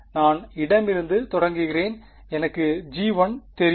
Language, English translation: Tamil, I start from the left do I know g 1